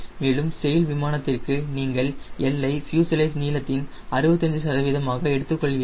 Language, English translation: Tamil, and for a sail plane, for a sail plane, we take l as sixty five percent of the fuselage length